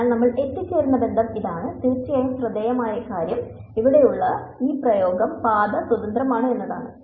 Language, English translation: Malayalam, So, this is the relation that we arrive at and the remarkable thing of course is that this expression over here is path independent